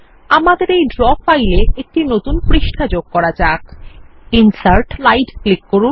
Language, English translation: Bengali, Let us add a new page to this Draw file by clicking on Insert and then on Slide